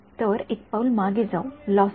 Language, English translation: Marathi, So, let us take one step back lossy